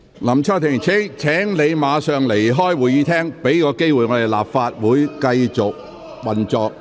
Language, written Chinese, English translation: Cantonese, 林卓廷議員，請你立即離開會議廳，給立法會一個機會繼續運作。, Mr LAM Cheuk - ting please leave the Chamber immediately and give this Council an opportunity to continue with its work